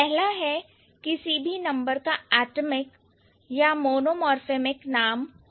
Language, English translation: Hindi, First, the number can have an atomic or monomorphic name